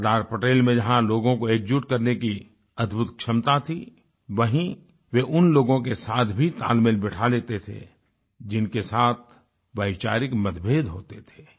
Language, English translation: Hindi, On the one hand Sardar Patel, possessed the rare quality of uniting people; on the other, he was able to strike a balance with people who were not in ideological agreement with him